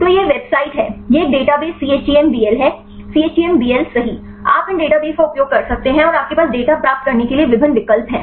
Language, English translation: Hindi, So, this is website have this a database chembl chembl right you can utilize these database and you have various options to get the data